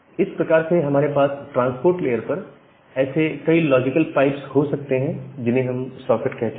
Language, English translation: Hindi, So that way, we can have multiple such logical pipes at the transport layer which we call as the socket